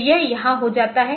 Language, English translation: Hindi, So, it gets it here